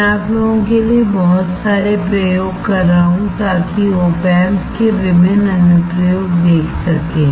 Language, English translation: Hindi, I have lot of experiments for you guys to see showing different application of operational amplifiers